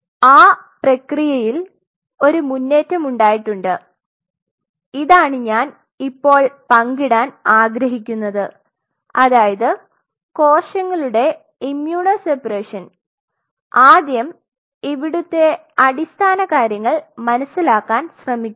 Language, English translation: Malayalam, But there is an advancement to that process which happens that is what I wanted to share now which is immuno separation of cells, immuno separation of cells is first of all try to understand the basic fundamental before I can